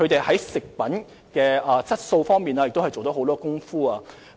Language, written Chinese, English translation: Cantonese, 在食品質素方面亦下了很多工夫。, In addition they have made great efforts in enhancing the quality of their food